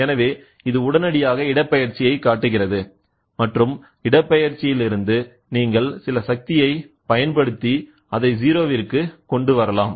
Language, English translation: Tamil, So, then it immediately shows the displacement and from the displacement, you try to apply some force and bring it to 0